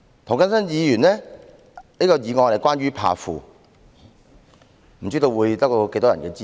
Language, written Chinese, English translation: Cantonese, 涂謹申議員的議案則是關於"怕富"，不知道會得到多少人的支持。, Mr James TOs motion is about fearing the rich . I wonder how much support it will receive